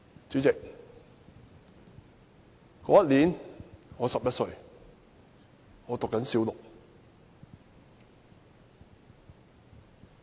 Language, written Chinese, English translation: Cantonese, 主席，那年我11歲，正就讀小六。, President I was 11 years old studying in Primary Six that year